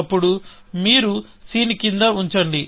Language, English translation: Telugu, Then, you put down c